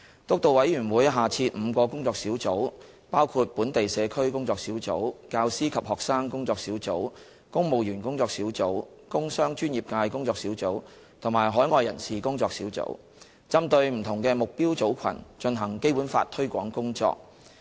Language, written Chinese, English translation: Cantonese, 督導委員會下設5個工作小組，包括本地社區工作小組、教師及學生工作小組、公務員工作小組、工商專業界工作小組及海外人士工作小組，針對不同的目標組群進行《基本法》推廣工作。, There are five working groups under the Steering Committee namely the Working Group on Local Community the Working Group on Teachers and Students the Working Group on Civil Servants the Working Group on Industrial Commercial and Professional Sectors and the Working Group on Overseas Community to promote the Basic Law to different target groups